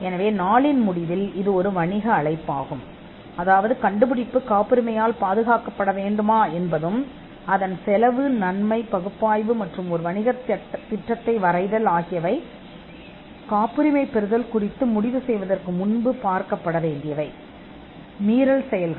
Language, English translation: Tamil, So, it is a business call at the end of the day, whether invention should be patented, and a cost benefit analysis is or or drawing a business plan to put it in another way, will be very important before taking a call on patenting